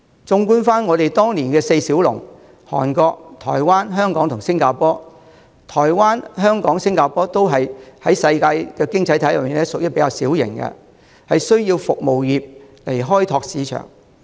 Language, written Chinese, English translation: Cantonese, 綜觀當年的亞洲四小龍，台灣、香港和新加坡在世界經濟體系中，均屬於比較小型，需要以服務業開拓市場。, Among the Four Little Dragons in Asia in the old days the economies of Hong Kong and Singapore were relatively small as compared to others in the world and needed to rely on the service sector for market development